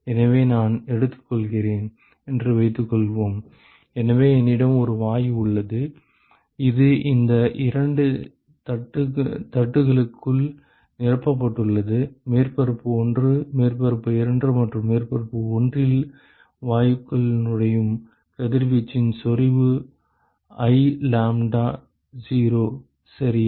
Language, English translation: Tamil, So, suppose I take; so I have a gas, which is filled inside these two plates: surface 1, surface 2 and let us say the intensity of radiation that enters the gas at surface 1 is I lambda0 ok